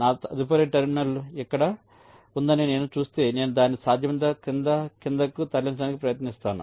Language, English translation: Telugu, if i see that my next terminal is here, i try to move it below, down below, as much as possible